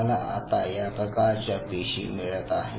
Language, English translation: Marathi, Now putting it now I am getting cells of these kinds